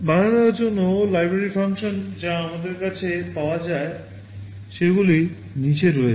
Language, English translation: Bengali, For the interrupt the library functions that are available to us are as follows